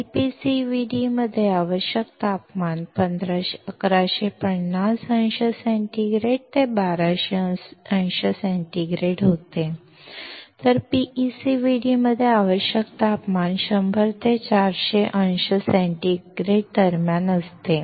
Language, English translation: Marathi, The temperature required in LPCVD was 1150 degree centigrade to 1200 degree centigrade, while the temperature required in PECVD ranges between 100 and 400 degree centigrade